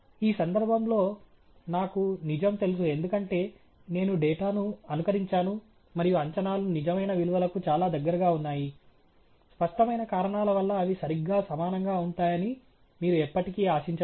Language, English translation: Telugu, In this case, I know the truth because I have simulated the data and the estimates are quite close to the true values; you can never expect them to be exactly equal for obvious reasons